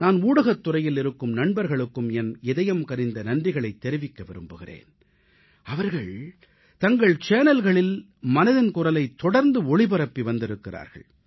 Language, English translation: Tamil, I sincerely thank from the core of my heart my friends in the media who regularly telecast Mann Ki Baat on their channels